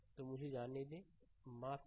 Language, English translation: Hindi, So, let me let me let me; sorry